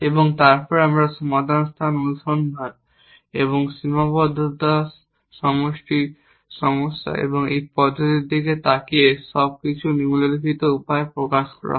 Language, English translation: Bengali, And then we looked at solution space search and these method in constraint satisfaction problems everything is expressed in the following way